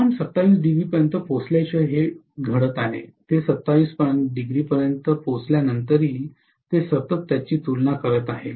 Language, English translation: Marathi, This is going to take place until the temperature reaches 27, after it reaches 27 also continuously it is going to compare it, right